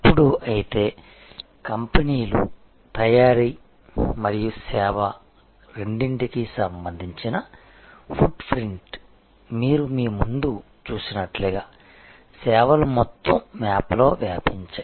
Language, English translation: Telugu, Now, but the companies footprint for both manufacturing and service, services are spread over the whole map as you see in front of you